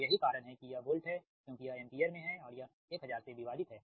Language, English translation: Hindi, so thats why this is volt, because this is in ampere and this is divided by thousand